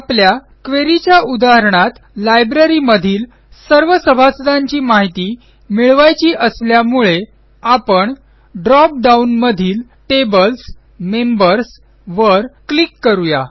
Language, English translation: Marathi, Since our example query is about getting a list of all the members of the Library, we will click on the Tables: Members from the drop down box